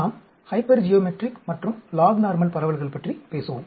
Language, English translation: Tamil, We will talk about Hypergeometric and log normal distributions